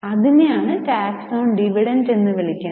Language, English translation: Malayalam, Now, what is the meaning of tax on dividend